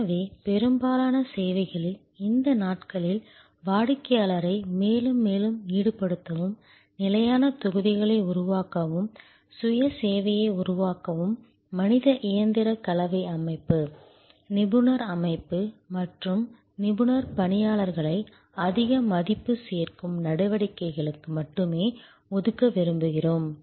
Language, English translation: Tamil, So, in most services, these days we would like to involve the customer more and more, create standard blocks, create self service and reserve the human machine composite system, expert system and expert personnel only for higher value adding activities